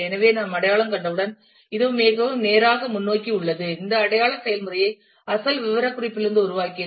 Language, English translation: Tamil, So, this is a very straight forward once we have identification, made this identification process from the original specification